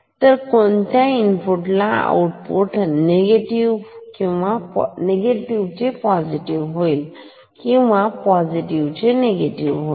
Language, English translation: Marathi, So, for what input output will become positive to negative and negative to positive